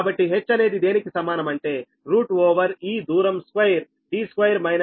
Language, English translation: Telugu, so h is equal to root over this distance, square d square minus d by two square